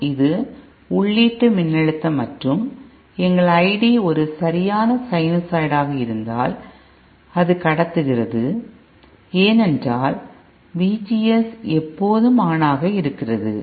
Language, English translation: Tamil, So it is conducting for entire the entire 360 degree and similarly you know this is the input voltage and our I D is also a perfect sinusoid, it conducts because VGS is always on